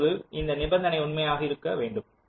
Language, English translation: Tamil, then this condition has to be holding true